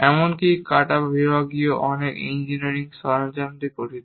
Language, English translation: Bengali, Even the cut sectional consists of many engineering equipment